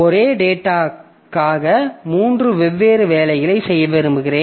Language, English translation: Tamil, So, for the same data, I want to do three different jobs